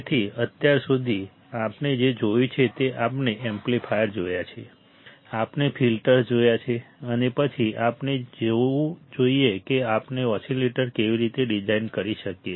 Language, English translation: Gujarati, So, until now what we have seen we have seen amplifiers; we have seen the filters; and then we must see how we can design oscillator